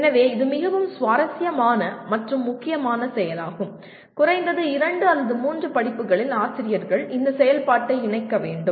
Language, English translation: Tamil, So this is a very interesting and important activity and at least in 2 or 3 courses the faculty should incorporate this activity